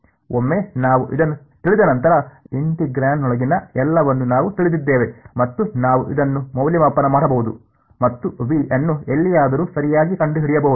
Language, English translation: Kannada, Once we knew this, then we knew everything inside the integrand and I could evaluate this and find out V anywhere right